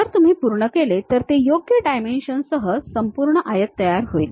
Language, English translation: Marathi, If you are done, then it creates the entire rectangle with proper dimensions